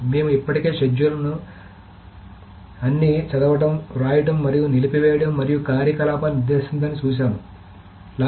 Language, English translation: Telugu, So we have seen that the schedule, we have already seen that a schedule specifies all the read right and maybe the abort and commit operations as well